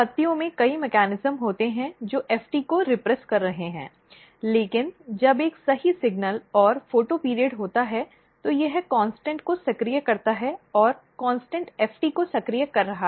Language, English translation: Hindi, So, you can in leaves there are multiple mechanism which are repressing FT, but when there is a photoperiod or right signal and photoperiod is basically activating CONSTANT and CONSTANT is activating FT